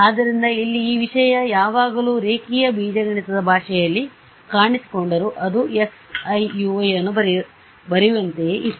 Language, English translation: Kannada, So, this thing over here they always appeared in the language of linear algebra it was like writing x i u i right